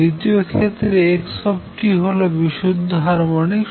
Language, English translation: Bengali, In the second case x t is purely harmonics